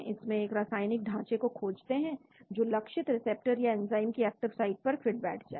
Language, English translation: Hindi, here discover a new chemical framework that fits to the active site of the target receptor or enzyme